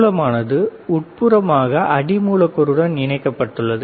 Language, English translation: Tamil, Source is internally connected to the substrate